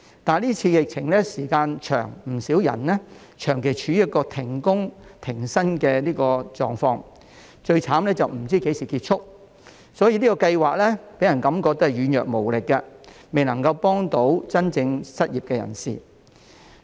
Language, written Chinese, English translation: Cantonese, 但是今次疫情的時間長，不少人長期處於停工、停薪的狀況，最慘是不知何時結束，所以這項計劃予人感覺是軟弱無力，未能夠幫助真正失業的人士。, However as the epidemic has lasted a long time many people have been out of work and pay for a long time . Worse still they do not know when this situation will end . As a result this scheme gives people the impression that it is ineffective and unable to help the truly unemployed